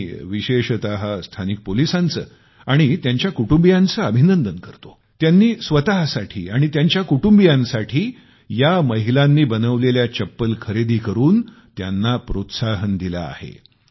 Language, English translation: Marathi, I especially congratulate the local police and their families, who encouraged these women entrepreneurs by purchasing slippers for themselves and their families made by these women